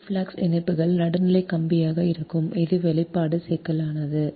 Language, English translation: Tamil, so flux linkages will neutral wire this is the expression is complex one right now